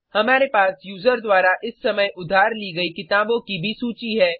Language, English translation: Hindi, We also have the list of books currently borrowed by the user